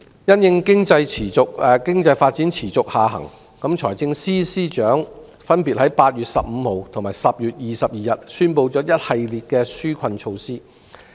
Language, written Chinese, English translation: Cantonese, 因應經濟發展持續下行，財政司司長分別在8月15日和10月22日宣布了一系列的紓困措施。, As the economic recession continues the Financial Secretary announced a series of relief measures on 15 August and 22 October